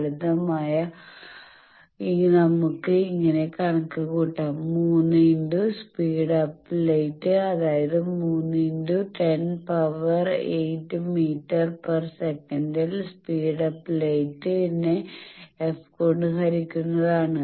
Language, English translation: Malayalam, Simple calculation the 3 into the speed up light, 3 into 10 to the power 8 meter per second this are speed up light by f, so that is 30 centimeter